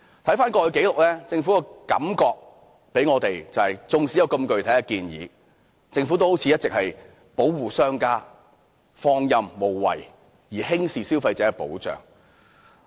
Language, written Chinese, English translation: Cantonese, 回看過去的紀錄，政府給我們的感覺是，縱使有如此具體的建議，但政府卻好像一直是在保護商家，放任無為，輕視對消費者的保障。, If we look back on the past we would have a feeling that the Government was trying to protect the business sector all along despite all these specific proposals . By merely introducing lax controls it actually does not attach much importance to consumer protection